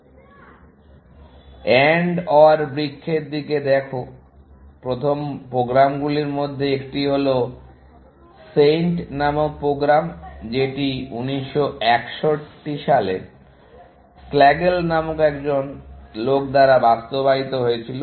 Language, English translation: Bengali, One of the first programs to look at that AND OR trees, was the program called SAINT, which was implemented by a guy called Slagle in 1961